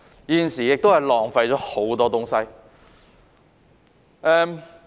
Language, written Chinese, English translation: Cantonese, 現時浪費了很多東西。, Too much is being wasted at present